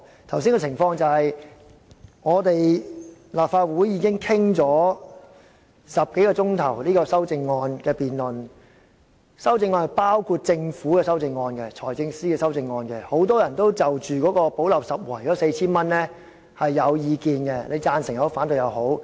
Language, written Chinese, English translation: Cantonese, 剛才的情況是，立法會已就修正案進行了10多小時的辯論，當中包括由財政司司長提出的政府修正案，很多人也對用作"補漏拾遺"的 4,000 元有意見，既有贊成也有反對。, The point is that a debate has been going on for over 10 hours in this Council to discuss various amendments including those proposed by the Financial Secretary on behalf of the Government . There are diverse views on the proposal to plug the gap by handing out 4,000 to certain members in the community and arguments for and against the idea have been made